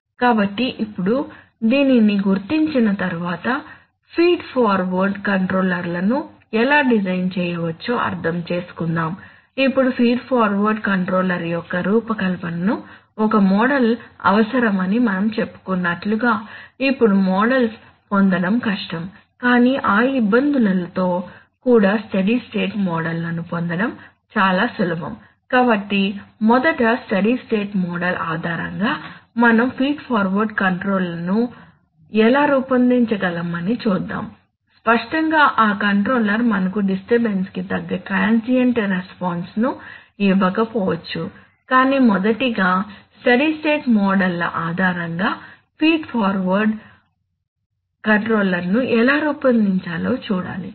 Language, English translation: Telugu, So now having recognized this let us understand just let us see how we can design feed forward controllers, now as we have said that that design of a feed forward controller would require a model, now models are difficult to obtain but even with those difficulties steady state models are actually easier to obtain, so therefore let us first see that how based on a steady state model we can design a feed forward controller, obviously that that controller may not give us very good transient response to the disturbance but as a first step we should see how to design a feed forward controller based on a steady state models